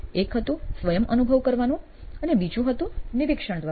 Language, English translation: Gujarati, One was to go through yourself, the second was through observation